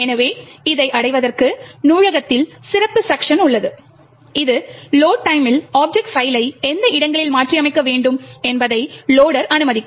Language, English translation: Tamil, So, in order to achieve this there is special section in the library which will permit the loader to determine which locations the object file need to be modified at the load time